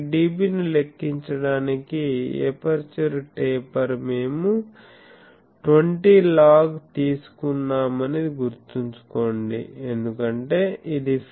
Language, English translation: Telugu, Remember that this aperture taper to calculate this dB we have taken a 20 log because this is the field